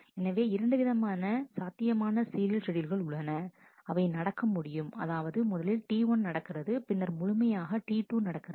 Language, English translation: Tamil, So, there are 2 possible serial schedules that can happen that is first T 1 happens, then whole of T 2 happens